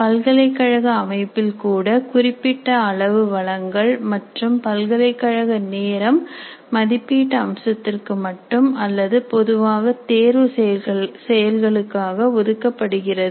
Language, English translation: Tamil, Even in the university systems, considerable resources and time of the university are devoted only to the assessment aspects or typically the examination processes